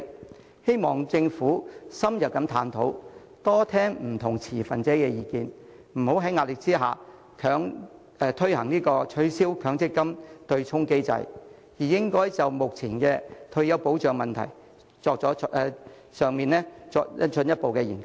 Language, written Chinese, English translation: Cantonese, 我希望政府深入探討，多聽不同持份者的意見，不要在壓力下取消強積金對沖機制，而應就目前的退休保障問題作進一步研究。, I hope the Government will conduct an in - depth exploration and listen to more views of different stakeholders . Do not abolish the MPF offsetting mechanism under pressure . Instead it should carry out further studies on the existing retirement protection issues